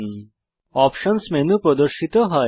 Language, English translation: Bengali, The Options menu appears